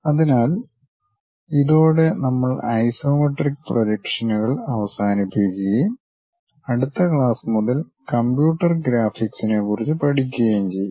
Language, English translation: Malayalam, So, with that we will conclude our isometric projections and in the next class onwards we will learn about computer graphics